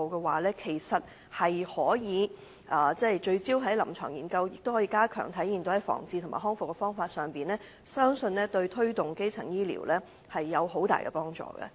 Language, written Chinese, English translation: Cantonese, 如能聚焦在臨床研究，應用於防治和復康治療，相信對推動基層醫療有很大的幫助。, The conduct of focused clinical research in the application of ICWM for prevention and rehabilitation will be greatly conducive to the promotion of primary health care